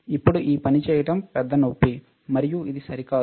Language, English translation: Telugu, Now, doing this thing is a big pain and which is not ok